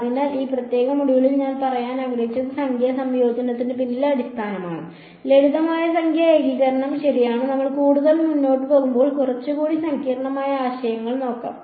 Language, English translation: Malayalam, So, what is what I wanted to convey in this particular module is the basis behind numerical integration, simple numerical integration ok; as we go further we will look at little bit more complicated ideas ok